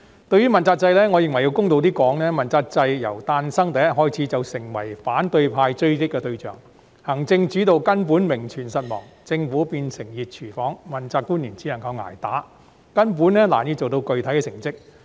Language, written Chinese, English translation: Cantonese, 對於問責制，我認為要公道說句，問責制由誕生的第一天開始便成為反對派追擊的對象，行政主導根本名存實亡，政府變成"熱廚房"，問責官員只有"捱打"，根本難以做到具體成績。, Speaking of the accountability system I think it is fair to say that it has been an easy target for criticism among opposition Members ever since the first day of its birth . The executive - led principle has merely existed in name only and the Government has turned into a hot kitchen where accountability officials are virtually defenceless against all sorts of attack and can hardly attain any concrete achievements at all